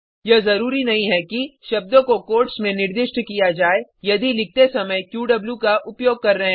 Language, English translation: Hindi, It is not necessary to specify the word in quotes , if written using qw